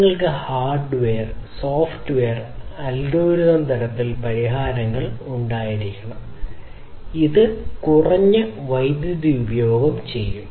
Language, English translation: Malayalam, So, what you need to have is to have solutions at the hardware and the software and the algorithmic level which will consume very very low power